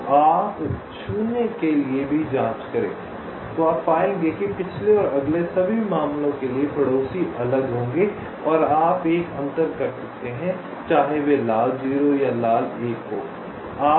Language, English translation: Hindi, so you check for zeros also, you will find that for all the four cases the previous and the next neighbours will be distinct and you can make a distinction whether they are red, zero or red one